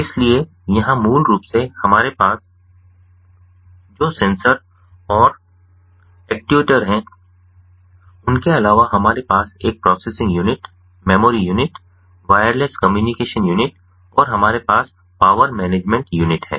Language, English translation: Hindi, so here, basically, what we have is, apart from the sensors and actuators, we have a processing unit and the memory unit, ah, we have wireless communication unit and we have the power management unit